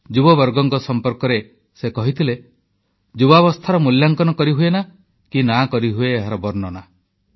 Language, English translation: Odia, Referring to the youth, he had remarked, "The value of youth can neither be ascertained, nor described